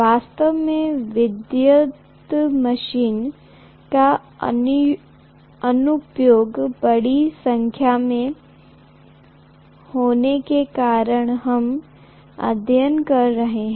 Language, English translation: Hindi, In fact, electrical machines we are studying because there are huge number of applications